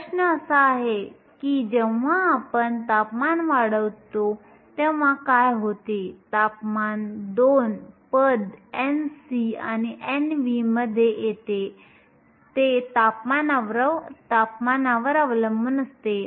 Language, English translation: Marathi, Question is what happens when we increase the temperature, the temperature comes in 2 terms n c and n v also it depend on temperature